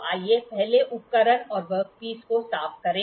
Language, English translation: Hindi, So, let us first clean the instrument and the work piece